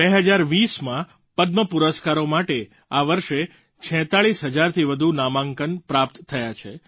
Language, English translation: Gujarati, This year over 46000 nominations were received for the 2020 Padma awards